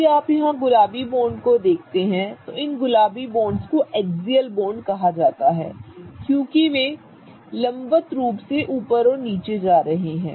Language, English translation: Hindi, If you look at the pink bonds here, these pink bonds are called as axial bonds because they are going vertically up and down